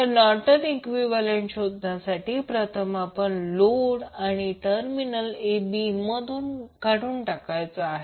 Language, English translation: Marathi, So, to find out the Norton’s equivalent first we need to remove the load from terminal a b